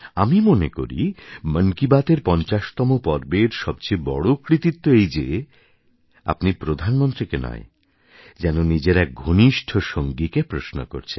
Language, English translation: Bengali, I believe that the biggest achievement of the 50 episodes of Mann Ki Baat is that one feels like talking to a close acquaintance and not to the Prime Minister, and this is true democracy